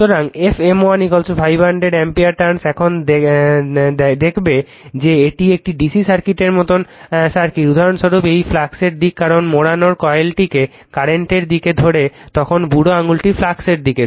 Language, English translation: Bengali, So, f M 1 is equal to 500 ampere turns now it will look into that that this is your circuit like a DC circuit for example, that this is the direction of the flux this is your direction of the flux because you wrap grabs the coil in the direction of the current then thumb is the direction of the flux